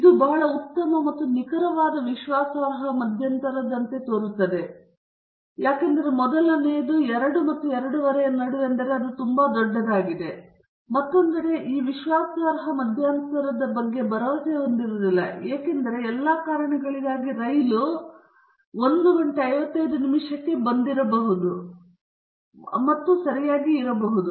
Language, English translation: Kannada, That sounds like a very good and precise confidence interval because it is not very big, but on other hand we are not very confident about this confidence interval because the train for all reasons might have come at 1:55 and left okay